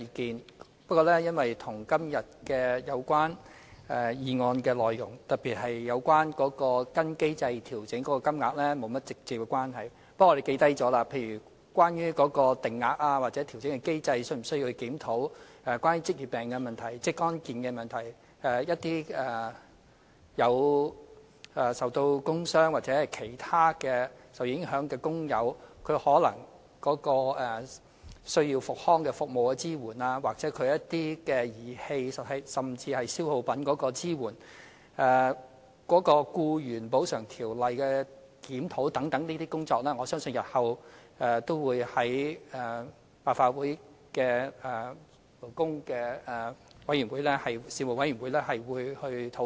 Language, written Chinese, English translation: Cantonese, 雖然部分意見與今天有關議案內容，特別是有關跟隨機制作出調整金額的部分沒有直接關係，但我們亦已記下來，例如是否需要檢視有關定額或調整機制；有關職業病的問題、職安健的問題等；一些受工傷或其他影響的工友的復康服務支援，又或儀器甚至消耗品的支援；檢視《僱員補償條例》等工作，我相信日後也會在立法會相關事務委員會上討論。, Although some of the views expressed are not directly related to the contents of the resolution proposed today especially the part on adjusting the rate of medical expenses in accordance with the established mechanism we have already jotted them down . The issues involved include the need to review the rate of medical expenses or the adjustment mechanism; the problems concerning issues such as occupational diseases occupational safety and health; rehabilitation service support granted to workers affected by injuries at work or other matters or support for the use of rehabilitation equipment and consumables; the review of the Employees Compensation Ordinance and so on . I believe all these issues will be discussed in the relevant Panels of the Legislative Council in the future